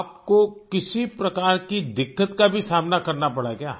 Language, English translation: Hindi, Did you also have to face hurdles of any kind